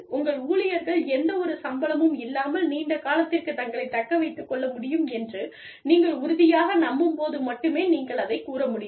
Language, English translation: Tamil, You can only say that, when you are sure, that your employees can sustain themselves, for long periods of time, without any salaries